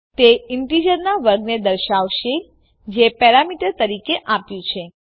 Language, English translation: Gujarati, That will display a square of an integer which is given as a parameter